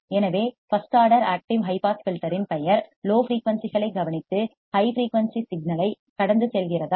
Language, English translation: Tamil, So, a first order active high pass filter as the name implies attenuates low frequencies and passes high frequency signal correct